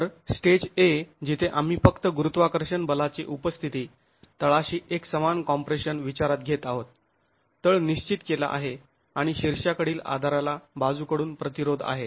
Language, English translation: Marathi, So, stage A where we are considering only the presence of gravity forces, uniform compression at the base, the base is fixed and you have the lateral restraint at the top support